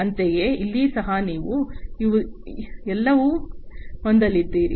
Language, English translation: Kannada, Likewise, here also you are going to have all of these